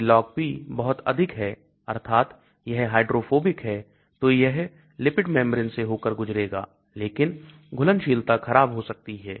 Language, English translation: Hindi, if the Log P is very high that means it is hydrophobic, it will pass through the lipid membrane but solubility can be poor